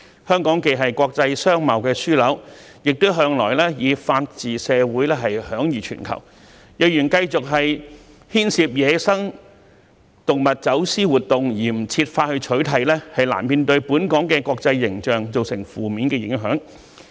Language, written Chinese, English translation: Cantonese, 香港既是國際商貿樞紐，亦向來以法治社會享譽全球，如果繼續牽涉於野生動物走私活動而不設法取締，本港國際形象難免受到負面影響。, As a hub for international business and commerce Hong Kong is also renowned worldwide as a society where the rule of law prevails . Such an international image will inevitably be tarnished if Hong Kong continues to be involved in the smuggling of wild animals with no attempt to ban it